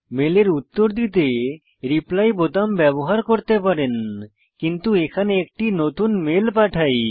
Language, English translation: Bengali, You can use the Reply button and reply to the mail, but here lets compose a new mail